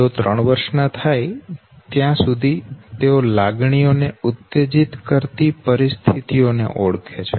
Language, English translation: Gujarati, By the time they are three years old they can identify emotions and situations that provoke emotions